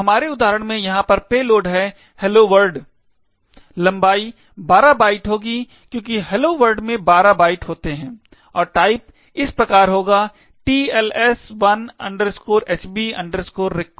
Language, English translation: Hindi, So, in our example over here the payload will be hello world, the length would be 12 bytes because hello world comprises of 12 bytes and the type would be as follows, TLS1 HB REQUEST